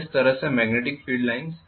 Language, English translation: Hindi, So I am going to have the magnetic field lines going like this right